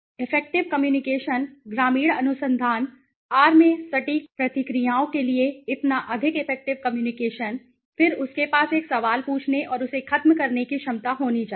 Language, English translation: Hindi, Effective communication, so more effective communication to the accurate responses in rural research right, then he should have the ability to, when to ask a question and when to finish it